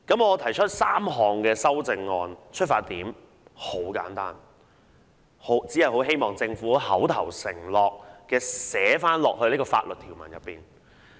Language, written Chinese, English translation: Cantonese, 我提出3項修訂議案的出發點十分簡單，只是希望將政府的口頭承諾寫入條文。, My three amending motions are simple . They aim at including the Governments verbal undertakings into the provision